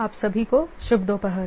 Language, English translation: Hindi, Good afternoon to all of you